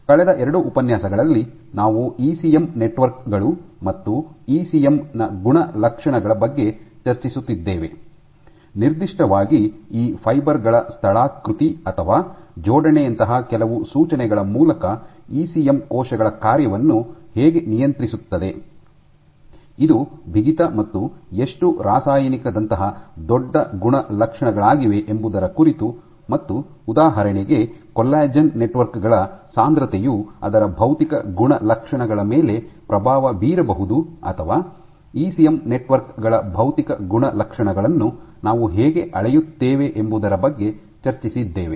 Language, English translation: Kannada, Over the last 2 lectures we have been discussing about properties of ECM networks and the ECM, in particular how ECM regulates cell function through the some of the cues like topography or alignment of these fibers, it is bulk properties like stiffness and how chemical So, for example, density of collagen networks can influence its physical properties, or how do we will measure physical properties of ECM networks